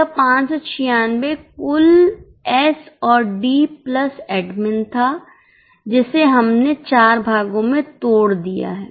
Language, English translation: Hindi, This 596 was total, S&D plus admin, which we have broken into four parts